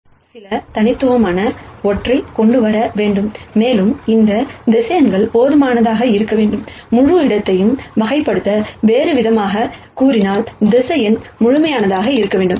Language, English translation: Tamil, So, basis has 2 properties, every vector in the basis should some bring something unique, and these vectors in the basis should be enough, to characterize the whole space, in other words the vector should be complete